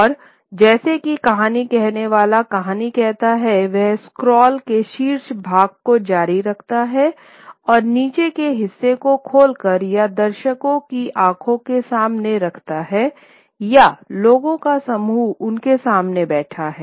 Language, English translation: Hindi, And as the storyteller tells the story keeps on rolling up the top part of the scroll and opening up the bottom part and holds it before the eyes of the of the of the of the viewer or the group of people seated before them and tells the story part by part